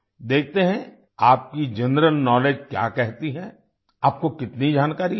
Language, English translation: Hindi, Let's see what your general knowledge says… how much information you have